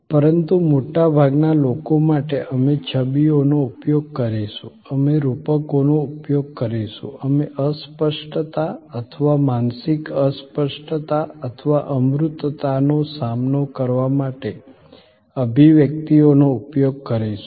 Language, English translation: Gujarati, But, for most people, we will use images, we will use metaphors, we will use expressions to counter the intangibility or mental impalpability or the abstractness